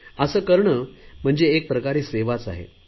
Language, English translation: Marathi, This is also a kind of service